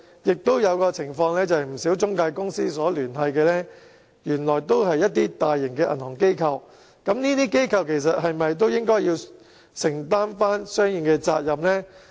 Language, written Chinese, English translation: Cantonese, 亦有些情況是，與不少中介公司有聯繫的原來都是大型的銀行機構，但這些機構是否也應該承擔相應的責任呢？, In some cases intermediaries turned out to have association with major banking institutions . So should these institutions also bear a corresponding share of the responsibility?